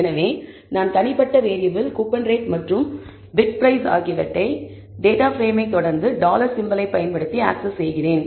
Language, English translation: Tamil, So, I am accessing the individual variables which is bid price and coupon rate using the data frame followed by the dollar symbol